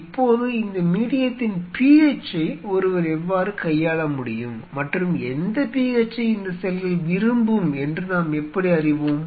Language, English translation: Tamil, Now how one can handle the PH of this medium and how do we know what kind of PHB cells will prefer why I am telling you this